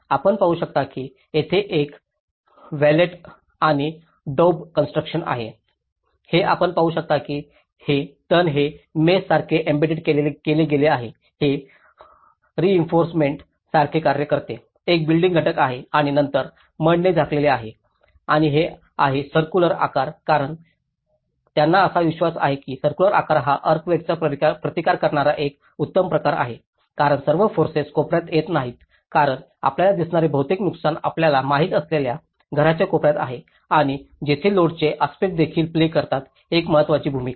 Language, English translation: Marathi, You can see that there is a wattle and daub constructions, it has you can see that these weeds the wattle has been embedded like a mesh, it acts like a reinforcement, is a binding element and then the cover with the mud and this is a circular shape because they believe that the circular shape is the best earthquake resisted form because all the forces are not coming at the corner because most of the damages which we see is at the corners of a house you know that is where the load aspects also play an important role